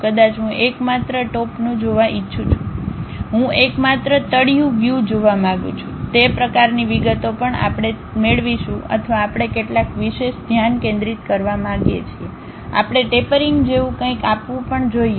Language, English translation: Gujarati, Maybe I would like to see only top view, I would like to see only bottom view, that kind of details also we will get it or we want to give some specialized focus, we want to give something like a tapering that is also available